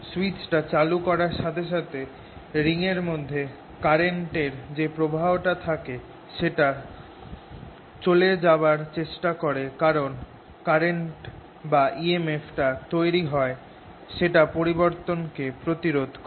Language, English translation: Bengali, as soon as you will see, as you switch on the switch so that the current starts flowing, the ring in this will try to go away, because the current generated, or e m f generated in the ring is going to be such that it's going to oppose the change